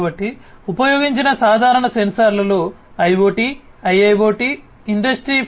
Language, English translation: Telugu, So, in the context of IoT, IIoT, Industry 4